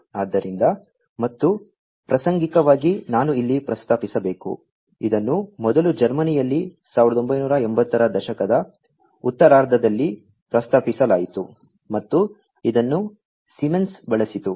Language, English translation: Kannada, So, and incidentally I should mention over here that, this was first proposed in Germany in the late 1980s, and was used by Siemens